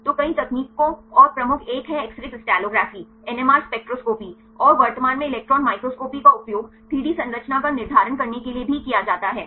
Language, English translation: Hindi, So, the several techniques and the major one is X ray crystallography NMR spectroscopy and currently electron microscopy is also used for determining the 3D structure